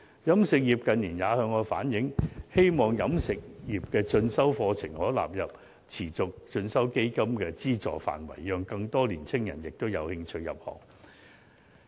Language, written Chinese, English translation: Cantonese, 飲食業近年也向我反映，希望持續進修基金的資助範圍可納入飲食業的進修課程，讓更多年青人有興趣入行。, In recent years the catering industry has relayed to me its hope that refresher courses on catering can be included in the scope for subsidies under the Continuing Education Fund CEF so as to attract more young people to join the industry